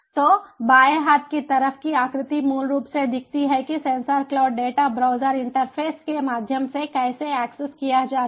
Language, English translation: Hindi, so the left hand side figure basically shows that how the sensor cloud data is accessed through a browser interface